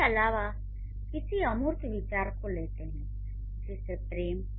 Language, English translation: Hindi, Also some abstract ideas like love